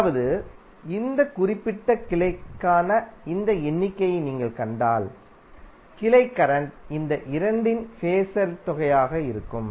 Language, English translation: Tamil, That means if you see this figure for this particular branch, the branch current would be phasor sum of these two